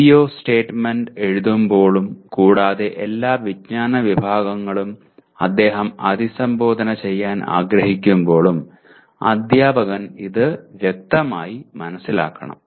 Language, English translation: Malayalam, This should be understood very clearly by the teacher when he is writing the CO statement and all the knowledge categories actually he wants to address